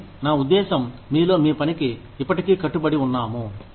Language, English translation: Telugu, But, I mean, in you are, still committed to your work